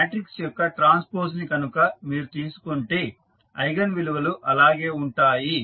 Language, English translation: Telugu, So, if you take the transpose of the matrix the eigenvalues will remain same